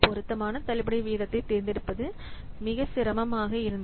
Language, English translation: Tamil, So, deciding, choosing an appropriate discount rate is one of the main difficulty